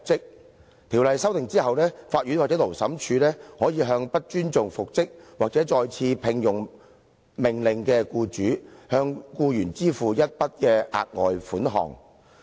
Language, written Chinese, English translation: Cantonese, 《僱傭條例》經修訂後，法院或勞審處可以命令不尊重復職或再次聘用的命令的僱主向僱員支付一筆額外款項。, After the Ordinance has been amended the court or Labour Tribunal can order an employer who fails to comply with an order for reinstatement or re - engagement to pay the employee a further sum